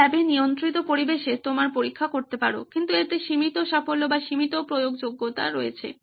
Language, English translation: Bengali, You can do your test in lab conditions, in controlled environment but it has limited success or limited applicability